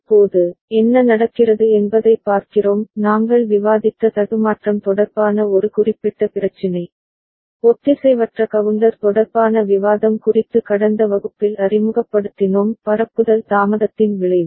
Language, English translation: Tamil, Now, we look at what happens one specific issue related to glitch that we discussed, we introduced in the last class regarding discussion related to asynchronous counter the effect of propagation delay